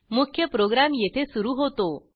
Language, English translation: Marathi, The main program starts here